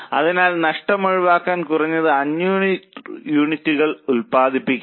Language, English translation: Malayalam, So, minimum 500 units must be produced to avoid losses